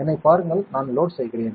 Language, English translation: Tamil, Just see me I will be loading it